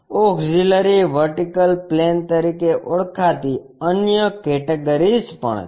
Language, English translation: Gujarati, The other categories called auxiliary vertical plane